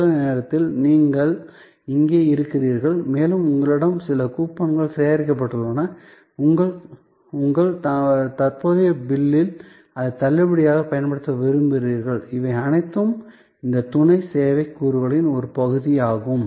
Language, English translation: Tamil, So, this time you are here and you have some coupons collected and you want to use that as a discount on your current bill, all those are part of these supporting service elements